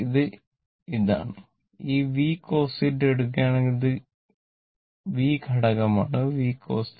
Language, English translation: Malayalam, So, this is this one, and this v cos theta if you take this is x component is v cos theta